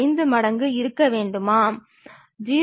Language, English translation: Tamil, 5 times of u 1, whether 0